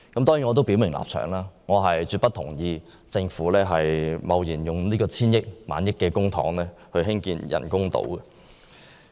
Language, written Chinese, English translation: Cantonese, 當然，我要表明立場，我絕不同意政府貿然花費數以千億元或1萬億元公帑興建人工島。, Of course I have to state my position clearly . I absolutely oppose the Governments plan to recklessly spend hundreds of billions of dollars or even 1 trillion of public money on constructing artificial islands